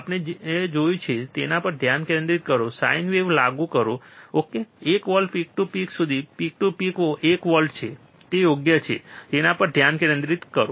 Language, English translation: Gujarati, Concentrate on this what we have seen apply sine wave ok, one volt peak to peak, peak to peak is one volt, right